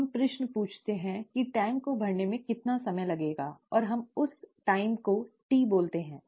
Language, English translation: Hindi, Now let us ask the question, how long would it take to fill the tank, and let us call that time t